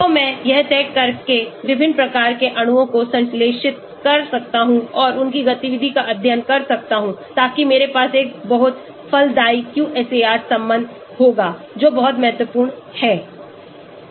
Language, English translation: Hindi, So, by deciding I can synthesize different types of molecules and study their activity so that I will have a very fruitful QSAR relationship that is very, very important